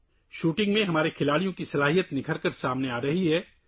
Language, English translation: Urdu, In shooting, the talent of our players is coming to the fore